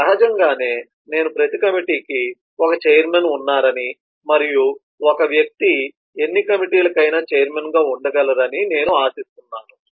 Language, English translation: Telugu, naturally i would expect that every committee has one chairman and a person could be chairman of any number of committees, including the person may not be a chairman at all